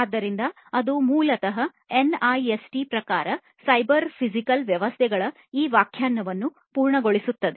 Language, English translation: Kannada, So, that basically completes this definition of the cyber physical systems as per NIST